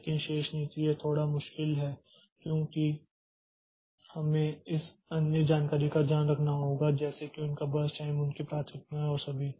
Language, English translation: Hindi, But the remaining policies so it is slightly difficult because we have to take care of this other information like their births time their priorities and all